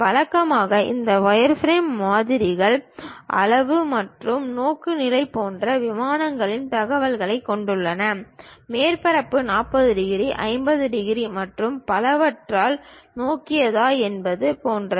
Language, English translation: Tamil, Usually this wireframe models contain information on planes such as the size and orientation; something like whether the surface is oriented by 40 degrees, 50 degrees and so on